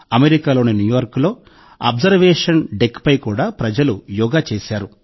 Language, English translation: Telugu, People also did Yoga at the Observation Deck in New York, USA